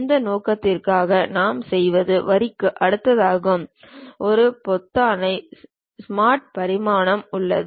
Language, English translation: Tamil, For that purpose what we do is just next to Line, there is a button Smart Dimension